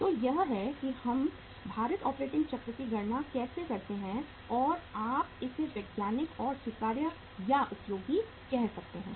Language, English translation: Hindi, So this is how we calculate the weighted operating cycle and this is more you can call it as scientific or acceptable or useful